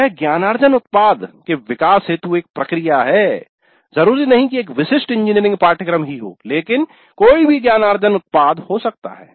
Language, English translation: Hindi, This is a process for development of a learning product, not necessarily a specific engineering course but any learning product